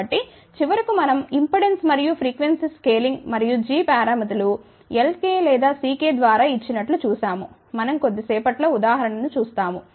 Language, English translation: Telugu, So, ultimately we combine impedance as well as frequency scaling and what we had seen that the g parameters which are given by L k or C k we will see the example in a short while